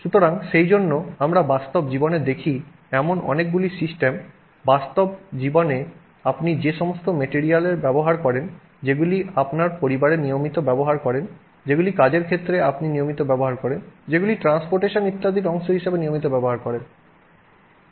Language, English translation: Bengali, So, therefore, many of the systems that we actually see in real life, in real life many of the materials that you deal with that you use, routinely use in your household, routinely use in your at work, routinely use as part of transportation etc